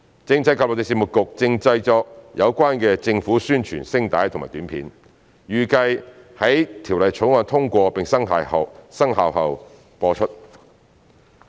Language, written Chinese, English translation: Cantonese, 政制及內地事務局正製作有關的政府宣傳聲帶及短片，預計於《條例草案》通過並生效後播出。, The Constitutional and Mainland Affairs Bureau is working on the concerned announcement on public interests and publicity footage which are expected to be aired after the Bill is passed and enacted